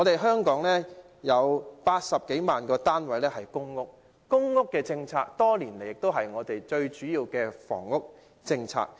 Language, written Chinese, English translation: Cantonese, 香港有80多萬個公屋單位，公屋政策多年來是香港最主要的房屋政策。, There are more than 800 000 public rental housing PRH units in Hong Kong . PRH policy has been the mainstay of Hong Kongs housing policy for many years